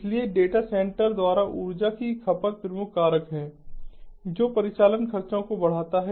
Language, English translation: Hindi, so energy consumption by data center is the major factor that drives the operational expenses